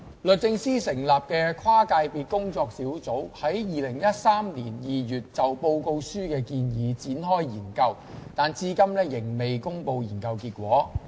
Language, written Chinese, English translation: Cantonese, 律政司成立的跨界別工作小組於2013年2月就報告書的建議展開研究，但至今仍未公布研究結果。, A cross - sector working group established by the Department of Justice commenced in February 2013 a study on the proposals of the report but it has not published the results of the study so far